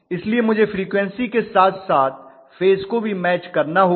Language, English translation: Hindi, So I have to match the frequency as well as phase simultaneously